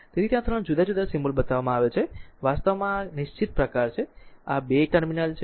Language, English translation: Gujarati, So, there are 3 different symbols are shown, this is actually this is fixed type this is 2 terminals are there